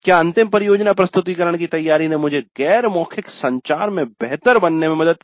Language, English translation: Hindi, Preparation for the final project presentation helped me become better at non verbal communication as a part of the communication skills